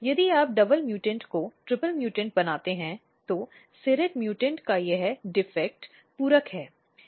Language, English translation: Hindi, If you make double mutant our triple mutant, what happens that this defect of serrate mutants is complemented